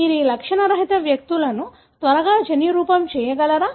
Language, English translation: Telugu, Can you quickly genotype these asymptomatic individuals